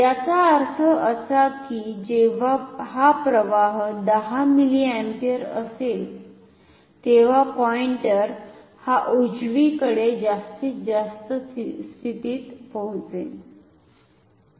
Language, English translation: Marathi, So, if I pass I equals 10 milliampere then the pointer will come to the extreme right position here